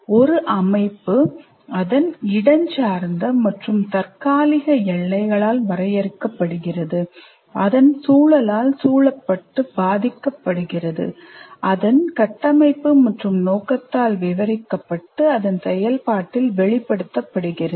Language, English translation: Tamil, And a system is delineated by its spatial and temporal boundaries, surrounded and influenced by its environment, described by its structure and purpose and expressed in its functioning